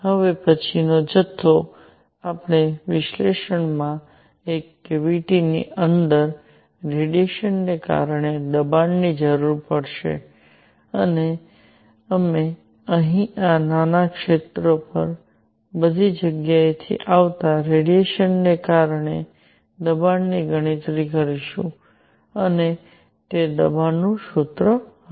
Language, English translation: Gujarati, The next quantity, we will need in our analysis is going to be pressure due to radiation inside a cavity and we will do a calculation of pressure due to radiation falling on this small area here from all over the place and that would be the pressure formula